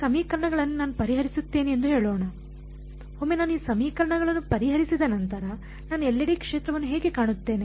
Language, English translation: Kannada, Let us say, I solve these equations; once I solve these equations, how will I find the field everywhere